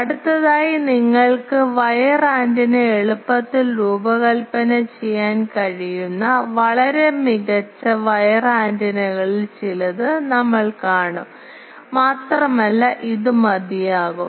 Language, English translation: Malayalam, Next we will see some of the very noble wire antennas where you can easily design wire antennas and for many cases it suffices